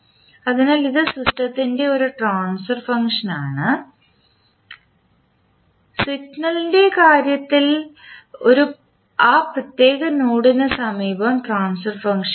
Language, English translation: Malayalam, So this is a transfer function of the system and in case of signal we write the transfer function near to that particular node